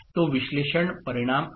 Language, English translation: Marathi, That is the analysis result